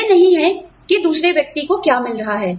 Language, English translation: Hindi, It is not, what the other person is getting